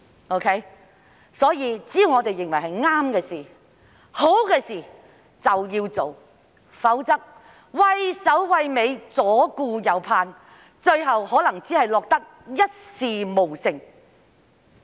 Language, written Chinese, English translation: Cantonese, 因此，只要認為是正確、好的事，當局便要做，否則，畏首畏尾，左顧右盼，最後可能只會落得一事無成。, Therefore as long as the authorities consider that something is right and good they should do it . If they are afraid of what they are going to do and are over - cautious nothing will be achieved in the end